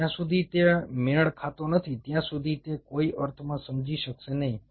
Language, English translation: Gujarati, unless it matches, it wont make any sense understand